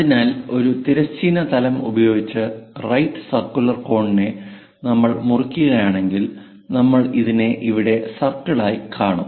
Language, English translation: Malayalam, So, any horizontal plane for a right circular cone if we are slicing it, we will see it as circle here, this is the circle